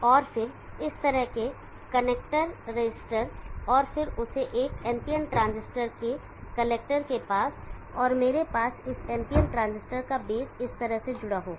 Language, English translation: Hindi, And then connector register like this and then that to the connector of a NPN transistor, and I will have the base of this NPN transistor connected in this fashion